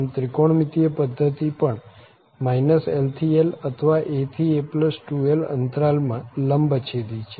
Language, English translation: Gujarati, So, this trigonometric system is also orthogonal in these intervals minus l to l or a to a plus 2l